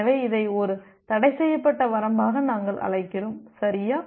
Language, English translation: Tamil, So, we call it as a forbidden range okay